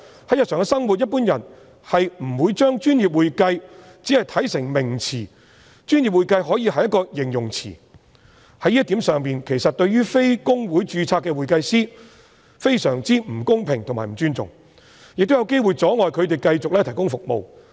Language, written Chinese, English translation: Cantonese, 在日常生活中，一般人不會把"專業會計"看成一個名詞，"專業會計"可以是一個形容詞，在這一點上，其實對於非公會註冊的會計師非常不公平及不尊重，亦有機會阻礙他們繼續提供服務。, In everyday life people in general will not regard the description professional accounting as a noun; they may regard it as an adjective . In this regard the proposed prohibition is actually very unfair and disrespectful to accountants who are not registered with HKICPA and these people may even be prohibited from continuing to provide services